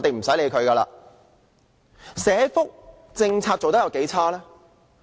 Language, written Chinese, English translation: Cantonese, 政府的社福政策做得有多差勁呢？, How poor has the Government performed in respect of its social welfare policy?